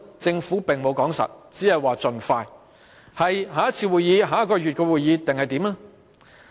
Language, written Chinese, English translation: Cantonese, 政府沒有說清楚，只說會盡快，是下一次會議，還是下一個月的會議？, The Government has not stated clearly it only said that the Bill would be submitted again as soon as possible . Does it mean the next meeting or a meeting in the next month?